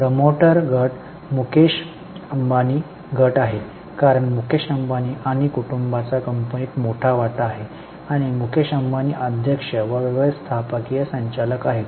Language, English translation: Marathi, The promoter group is Mukesh Ambani group because Mukesh Ambani and family owns major stake in the company